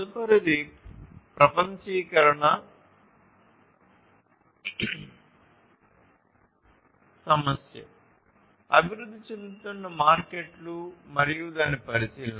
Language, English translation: Telugu, The next one the next globalization issue is the emerging markets and its consideration